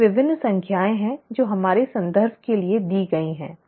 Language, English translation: Hindi, These are various numbers that are given for our reference